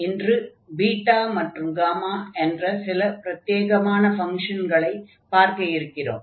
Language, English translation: Tamil, So, coming to these functions we have beta and gamma functions